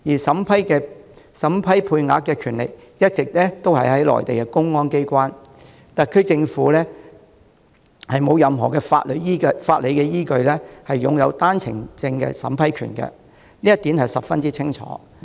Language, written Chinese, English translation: Cantonese, 審批配額的權力一直在於內地的公安機關，特區政府無任何法理依據擁有單程證審批權，這一點十分清晰。, It is clear that the authority of vetting and approving such quota has all along been rested with the public security authority in the Mainland . The SAR Government has no legal ground to vet and approve OWPs